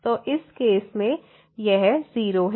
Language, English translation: Hindi, So, in this case this is 0